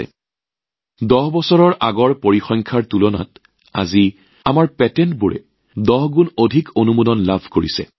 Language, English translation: Assamese, If compared with the figures of 10 years ago… today, our patents are getting 10 times more approvals